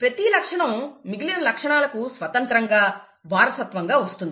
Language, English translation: Telugu, Each character is inherited independent of the other characters